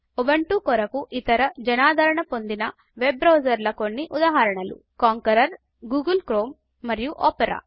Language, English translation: Telugu, Some examples of other popular web browsers for Ubuntu are Konqueror, Google Chrome and Opera